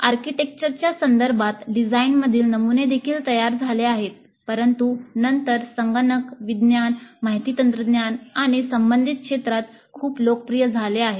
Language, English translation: Marathi, The patterns in design also arose in the context of architecture, but subsequently has become very popular in computer science, information technology and related areas